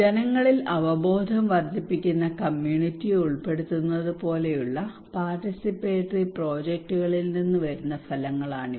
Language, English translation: Malayalam, These are outcomes that we often consider that comes from participatory projects like if we involve community that will actually increase peoples awareness